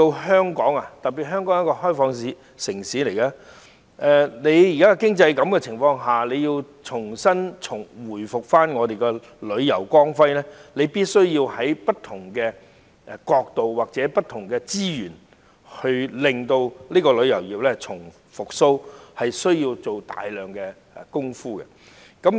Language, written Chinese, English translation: Cantonese, 香港是一個開放城市，在現時的經濟情況下，若想重見本港旅遊業的光輝，便必須從不同角度出發，投入資源重振旅遊業，更要做大量相關工作。, As Hong Kong is an open city if we want to bring back the glorious history of Hong Kongs tourism industry again under the present economic situation we must consider the issue from different perspectives and put in resources as well as humongous effort to revive the tourism industry